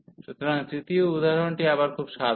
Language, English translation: Bengali, So, the third example is again very simple